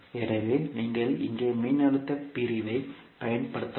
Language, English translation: Tamil, So you can simply use voltage division here